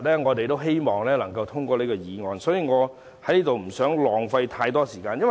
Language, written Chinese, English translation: Cantonese, 我希望今天能夠通過這項議案，所以我不想在此浪費太多時間。, I hope that this motion will be passed today so I do not want to waste too much time here